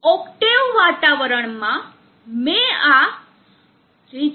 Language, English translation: Gujarati, In the octave environment, I have run this reachability